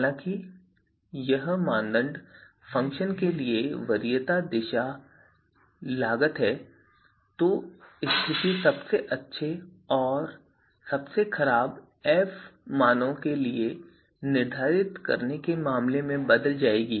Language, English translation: Hindi, However, if the criteria function, this preference direction for criteria function is actually cost, right, then the situation will change in terms of you know determining the best and worst f values